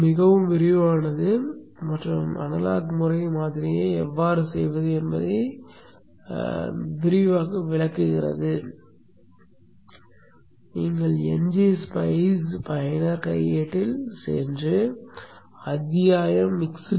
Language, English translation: Tamil, It is very very elaborate and discuss in detail how to do analog behavioral model